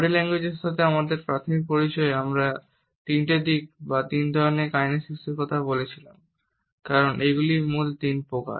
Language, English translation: Bengali, In my initial introduction to body language I had referred to three aspects or three types of kinesics because these are the original three types